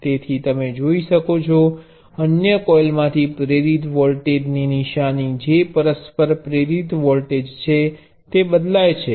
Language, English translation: Gujarati, So, as you can see, the sign of the induced voltage from the other coil that is the mutual induced voltage is what changes